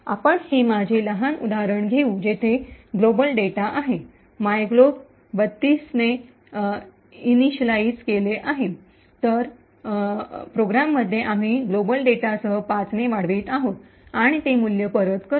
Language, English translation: Marathi, Let us take this small example where we have my global data initialize to 32 and in the program, we increment with the global data by 5 and return that value